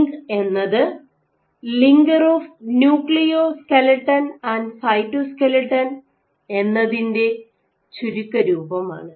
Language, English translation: Malayalam, LINC is the short form for linker of Nucleo skeleton and Cytoskeleton ok